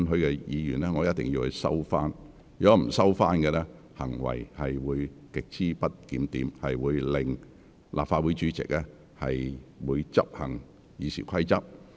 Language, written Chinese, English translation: Cantonese, 若議員不收回有關言詞，便屬於行為極不檢點，立法會主席會執行《議事規則》。, If the Member fails to withdraw the expression concerned his conduct will be regarded as grossly disorderly and the President of the Legislative Council will enforce the Rules of Procedure